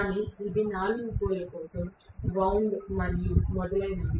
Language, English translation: Telugu, But it is wound for 4 pole and so on and so forth